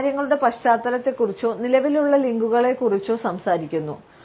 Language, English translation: Malayalam, They talk about the background of things or existing links and furthermore